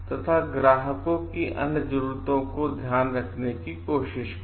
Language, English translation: Hindi, And try to take care of the other needs of the client